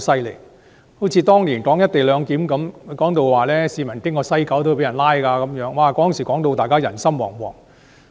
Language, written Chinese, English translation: Cantonese, 例如，當年討論"一地兩檢"時，他們幾乎說市民途經西九龍站也會被拘捕，令大家人心惶惶。, For example during the discussions on the co - location arrangements back then they almost said that people would be arrested for just walking past the West Kowloon Station instilling much fear in the public